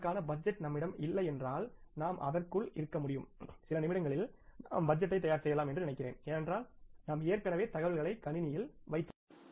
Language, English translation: Tamil, If you don't have the budget for that you can within I think a few minutes you can prepare the budget because you have already put the things in place in the systems